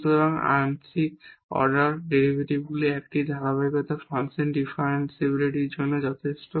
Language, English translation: Bengali, So, the continuity of one of the partial order derivatives is sufficient for the differentiability of the function